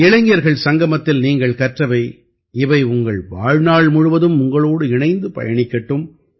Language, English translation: Tamil, May what you have learntat the Yuva Sangam stay with you for the rest of your life